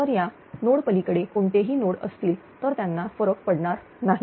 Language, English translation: Marathi, So, beyond this node any nodes are there it will not be affected